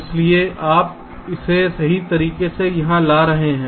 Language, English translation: Hindi, so you are correctly latching it here